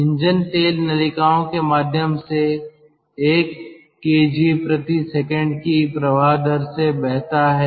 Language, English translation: Hindi, engine oil flows through the tubes at the rate of one kg per second